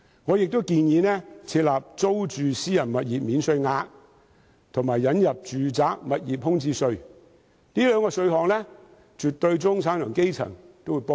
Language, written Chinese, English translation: Cantonese, 我亦建議設立租住私人物業免稅額，以及引入住宅物業空置稅，這兩個項目絕對有助中產和基層市民。, I also propose providing a tax allowance for renting private properties and introducing a vacant residential property tax . These two initiatives will certainly benefit the middle class and grass - roots people